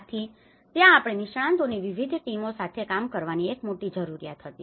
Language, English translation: Gujarati, There was a great need that we have to work with different teams of experts